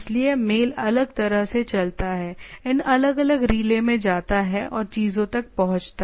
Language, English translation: Hindi, So, the mail goes on different goes to this different relays and reach the things